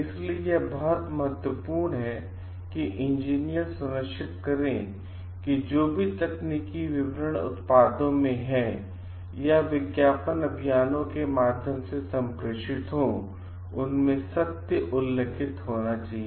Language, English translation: Hindi, So, it is very important that the engineers ensure like whatever technical details are mentioned in the products or in the communicated via ad campaigns should be true